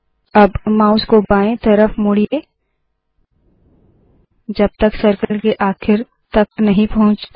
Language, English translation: Hindi, Now turn the mouse to the left, until at the bottom of the circle